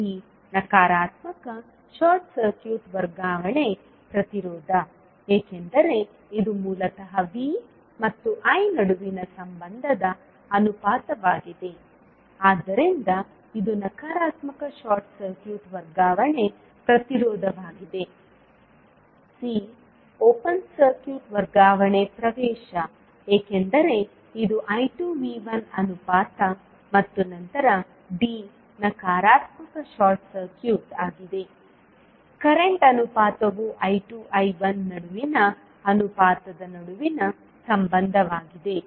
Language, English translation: Kannada, b is negative short circuit transfer impedance, because it is basically the relationship ratio between V and I, so it is negative short circuit transfer impedance, c is open circuit transfer admittance because it is V by I ratio sorry I by V ratio and then d is negative short circuit current ratio that is relationship between the ratio between I 2 and I 1